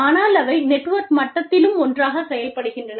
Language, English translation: Tamil, But, they also function together, at the level of the network